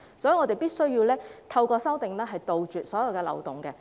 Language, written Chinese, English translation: Cantonese, 所以，我們必須透過修正案杜絕所有漏洞。, Therefore we must plug all loopholes through the amendments